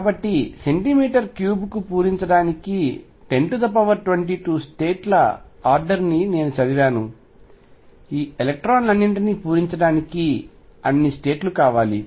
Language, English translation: Telugu, So, I read of the order of 10 raise to 22 states to fill per centimeter cubed I need that money state to fill all these electrons